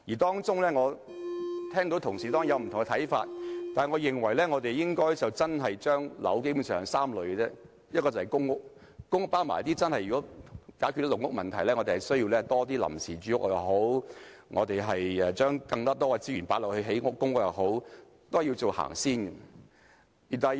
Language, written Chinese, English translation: Cantonese, 雖然我聽到同事有不同看法，但我認為基本上應將樓宇分為3類，一類是公屋，如果要一併解決"籠屋"問題，我們須增加一些臨時住屋，將更多資源投放興建公屋，這是要最先行的。, Colleagues have raised different ideas but I think basically we can divide housing into three categories . The first one is public housing . If the problem with caged homes is to be resolved together we must also provide some temporary housing and put more resources in constructing public housing which should be our top priority